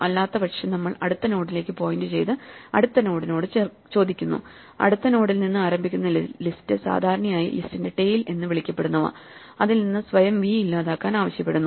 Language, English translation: Malayalam, Otherwise we just point to the next node and ask the next node, the list starting at the next node, what is normally called the tail of the list, to delete v from itself